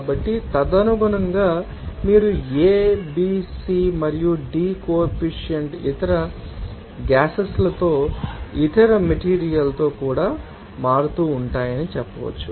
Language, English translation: Telugu, So, accordingly you can say that this a, b, c and d coefficients would be varying with other gas even other materials also